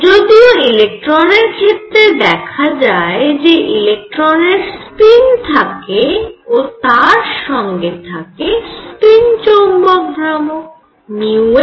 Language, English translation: Bengali, What was found in the case of electron; however, for electrons spin and the related the magnetic moment mu s